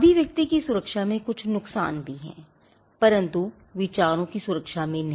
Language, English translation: Hindi, There are also certain disadvantages in protection of expression and not in protection of ideas